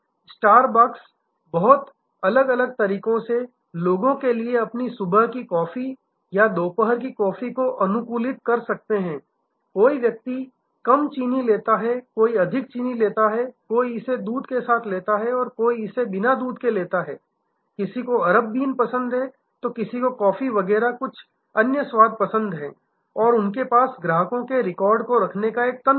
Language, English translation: Hindi, Star bucks can customize their morning coffee or afternoon coffee for people in very different ways, somebody takes less sugar, somebody takes more sugar, somebody takes it with milk, somebody takes it without milk, somebody likes Arabia bean, somebody like some other flavor of coffee and so on and they have a mechanism of keeping track